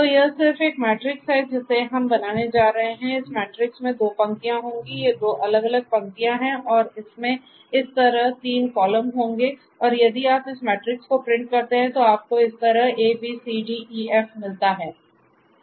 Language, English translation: Hindi, So, you know so this is just a this matrix that we are going to build this matrix will have 2 rows, these are; these are the 2 different rows and it is going to have 3 columns like this and if you print this matrix then you get a, b, c, d, e, f; a, b, c, d, e, f like this